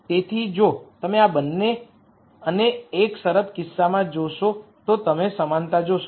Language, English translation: Gujarati, So, if you look at this and the one constraint case you will see the similarities